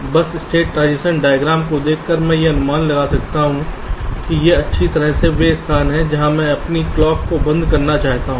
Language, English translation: Hindi, just by looking at the state transition diagram i can predict that, well, these are the places where i want to shut off my clock so that unnecessary state transitions are avoided